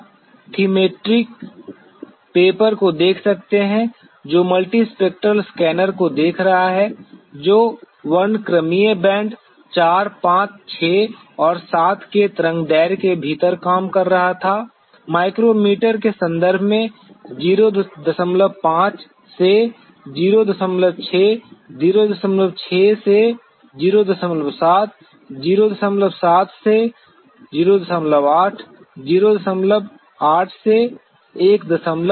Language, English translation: Hindi, You could see the Thematic Mapper which is looking at the multispectral scanner which was working within the wavelength of the spectral bands 4, 5, 6 and 7; the 0